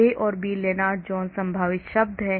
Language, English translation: Hindi, A and B are the Lennard Jones potential term